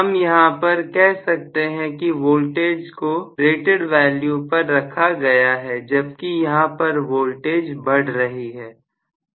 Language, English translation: Hindi, So, I should say that here voltage is frozen at rated value, whereas here the voltage is increasing